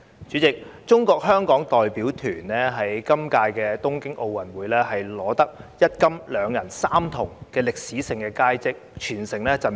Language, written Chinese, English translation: Cantonese, 主席，中國香港代表團在今屆東京奧運會取得一金、兩銀、三銅的歷史性佳績，全城振奮。, President the Hong Kong China delegation enjoyed unprecedented success in the Tokyo 2020 Olympic Games with one gold two silvers and three bronzes galvanizing the whole community